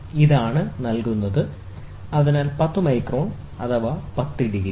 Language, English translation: Malayalam, And this is the magnitude, which is given, so ten microns, ten degrees